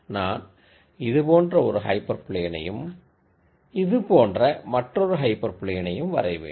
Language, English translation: Tamil, I could do hyper plane like this and a hyper plane like this